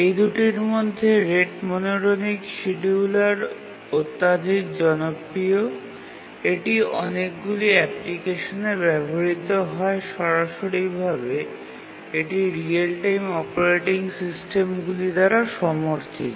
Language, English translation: Bengali, And between these two, we said that rate monotonic scheduler is overwhelmingly popular, being used in many, many applications and also directly supported by the real time operating systems